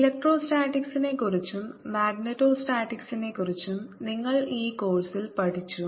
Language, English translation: Malayalam, you have learnt in this course about electrostatics, about magnitude statics